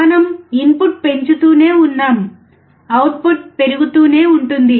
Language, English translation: Telugu, We keep on increasing input; we see keep on increasing the output